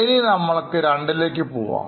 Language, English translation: Malayalam, Now, let us go to second